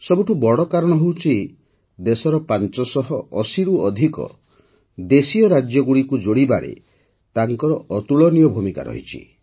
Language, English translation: Odia, The biggest reason is his incomparable role in integrating more than 580 princely states of the country